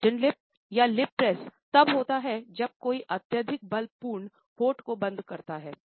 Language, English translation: Hindi, Flattened lips or lip press occur when there is an excessive almost force full closing of the lips